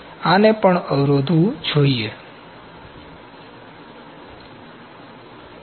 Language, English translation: Gujarati, So, this is also to be countered